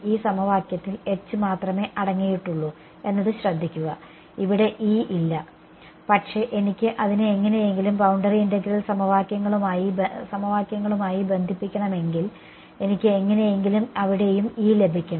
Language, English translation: Malayalam, Notice that this equation is consisting only of H there is no E over there ok, but if I want to link it with the boundary integral equations somehow I should also get E over there